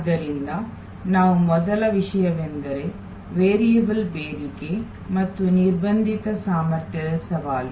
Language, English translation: Kannada, So, the first topic that we are going to look at is the challenge of variable demand and constrained capacity